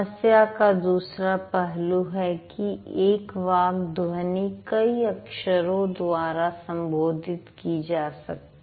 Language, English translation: Hindi, The other side of the problem is there is only one speech sound which can be written in several different letters